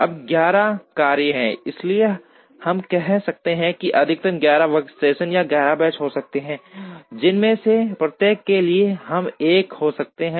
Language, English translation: Hindi, Now, there are 11 tasks, so we could say that there can be a maximum of 11 workstations or 11 benches that we could have 1 for each